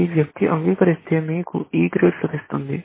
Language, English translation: Telugu, If this person confesses, then you get an E